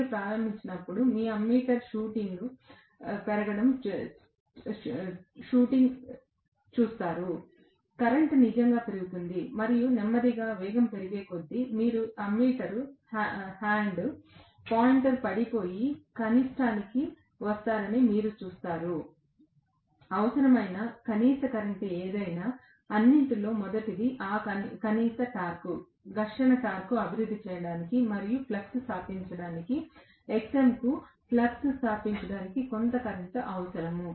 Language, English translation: Telugu, When you start you will see the ammeter shooting up, the current will really go up, and as it gain speed slowly you would see that the ammeter hand, the pointer falls and comes to the minimum, whatever is the minimum current that is needed, first of all, to develop that minimum torque, frictional torque, and also to establish the flux, Xm will require some current to establish the flux